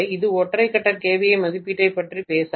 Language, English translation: Tamil, It will not talk about single phase kva rating